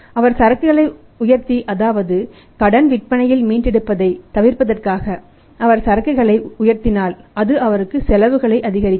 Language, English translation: Tamil, If he is raising the inventory to avoid the say the non recovery of the credit sales in that case he is increasing cost